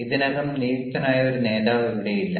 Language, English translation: Malayalam, but here there is no designated leader